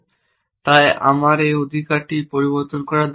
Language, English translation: Bengali, So, I do not need to change this right